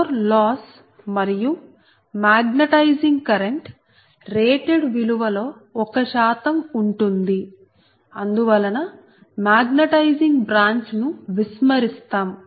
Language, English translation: Telugu, so the core loss and the magnetizing current on the in the order of one percent of the rated value and the hence magnetizing branch is neglected